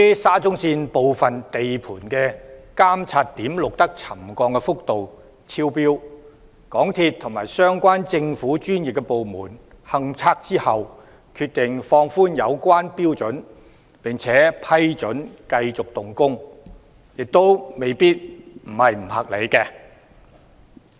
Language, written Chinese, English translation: Cantonese, 沙中線部分地盤的監測點錄得沉降幅度超標，經港鐵公司及政府的相關專業部門進行勘測後，當局決定放寬有關標準並批准繼續動工，亦未必是不合理。, Settlement exceeding the pre - set trigger levels was recorded at monitoring points in some of the SCL sites . It might not be unreasonable for the authorities to relax the relevant trigger levels and permit the resumption of construction works after site survey by MTRCL and the professional government departments concerned